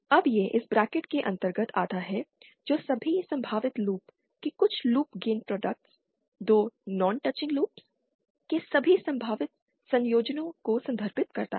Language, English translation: Hindi, Now this come under this bracket refers to some of the loop gain products of all possible loop, all possible combinations of 2 non touching loops